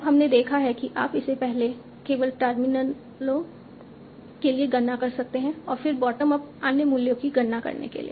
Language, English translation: Hindi, So, now we have seen that you can compute it for the only the terminals first and then go bottom up to compute it for other values